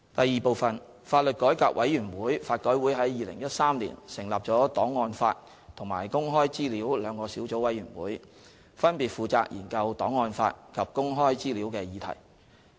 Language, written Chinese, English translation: Cantonese, 二法律改革委員會於2013年成立了檔案法及公開資料兩個小組委員會，分別負責研究檔案法及公開資料的議題。, 2 The Law Reform Commission LRC set up the Archives Law and Access to Information Sub - committees in 2013 to study the subject of archives law and access to information respectively